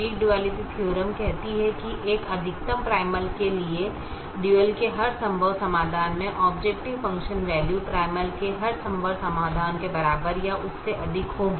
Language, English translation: Hindi, and the weak duality theorem says that for a maximization primal, every feasible solution to the dual will have an objective function value greater than or equal to that of every feasible solution to the primal